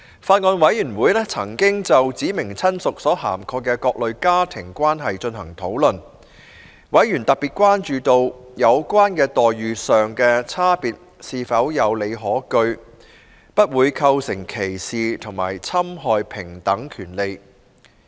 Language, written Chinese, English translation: Cantonese, 法案委員會曾就"指明親屬"所涵蓋的各類家庭關係進行討論，委員特別關注到，有關待遇上的差別是否有理可據，不會構成歧視及侵害平等權利。, The Bills Committee has discussed various familial relationships covered under the term specified relative . Members have particularly expressed concern on whether the difference in treatment in question is justified and will not constitute discrimination and infringe the right to equality